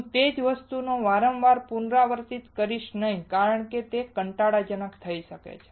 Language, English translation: Gujarati, I will not be repeating the same thing over and again as it can get boring